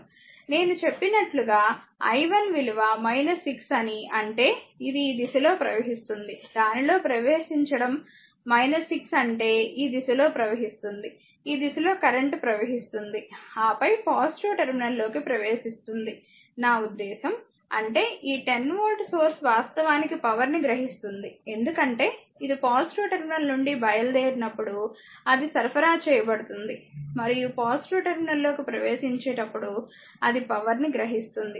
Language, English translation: Telugu, I told you that as i 1 is minus 6 means it is your what you call it is flowing to your in this direction , ah that entering in ah it is minus 6 means it is these direction right; that means, it is these direction current is current is flowing this direction then we entering into the voltage I mean plus terminal; that means, this 10 voltage source actually is observing power, because when it is leaving the plus terminal it is supplied when is entering the plus terminal it is your power observed